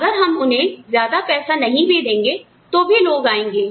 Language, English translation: Hindi, And, even if we do not give them, so much of money, people will come